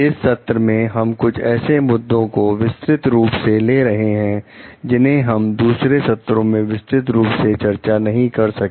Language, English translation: Hindi, In this session we are going to take up some detailed issues, which may be in the other sessions we could not discuss in details